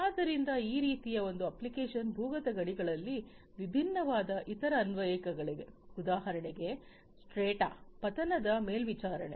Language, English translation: Kannada, So, that is one application like this there are different other applications in underground mines for example, strata a fall monitoring